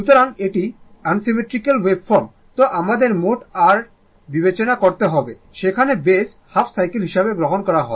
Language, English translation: Bengali, So, it is unsymmetrical wave form you have to consider that your what you call that total your ah, there you are taking that base is half cycle